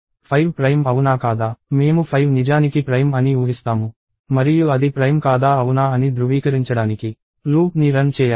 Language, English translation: Telugu, So, is 5 prime; I will assume that 5 is actually prime and have to run a loop to actually verify if it is prime or not